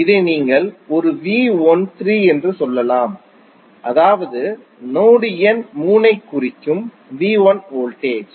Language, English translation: Tamil, If you say this as a V 13 that means that V 1 voltage with reference to reference number reference node number 3